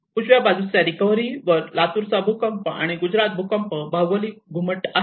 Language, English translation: Marathi, There is Latur earthquake on the right hand side recovery and the Gujarat earthquake geodesic domes